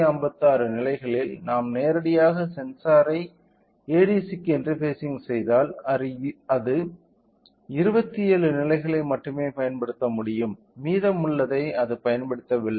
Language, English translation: Tamil, So, out of 256 levels if we directly interface sensor to ADC it can only utilise 27 levels the remaining so, it is not utilizing